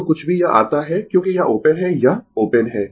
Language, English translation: Hindi, Whatever it come right, because this is open, this is open